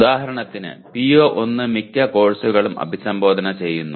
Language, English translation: Malayalam, For example PO1 is addressed by most of the courses